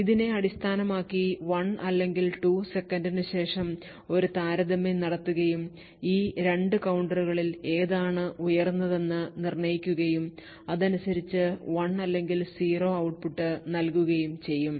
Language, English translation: Malayalam, Now based on this we would make a comparison after say 1 or 2 seconds and determine which of these 2 counters is higher and according to that we would give output of 1 or 0